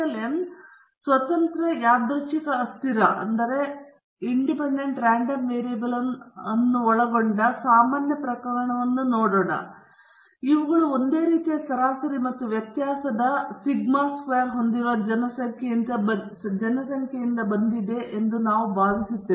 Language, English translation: Kannada, We will look at the general case involving n independent random variables and we will assume that all of these have come from populations that have the same mean and variance sigma square